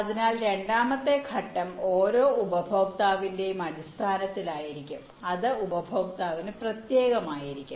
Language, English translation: Malayalam, so the seven step will be on a per customer basis that will be specific to the customers